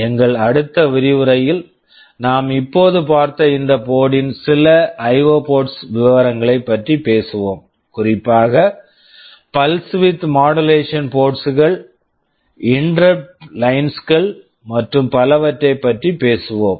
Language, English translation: Tamil, In our next lecture, we shall be talking about some of the IO port details of this board that we have just now seen, specifically we shall be talking about the pulse width modulation ports, the interrupt lines and so on